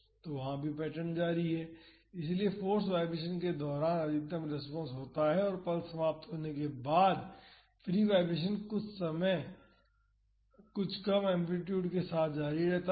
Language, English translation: Hindi, So, here also the same pattern continues; so, during the force vibration the maximum response occurs and after the pulse ends the free vibration continues with some reduced amplitude